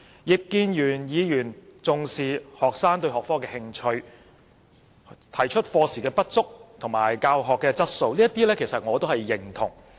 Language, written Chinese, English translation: Cantonese, 葉建源議員重視學生對學科的興趣、課時不足的問題和教學質素，這些我是認同的。, Mr IP Kin - yuen attaches importance to students interest in the subject the problem of insufficient teaching hours and the quality of teaching . I support all his views